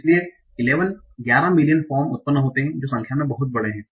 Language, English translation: Hindi, So there are 11 million forms that are generated